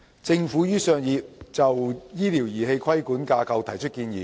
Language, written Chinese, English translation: Cantonese, 政府於上月就醫療儀器的規管架構提出建議。, The Government put forward a proposed regulatory framework for medical devices last month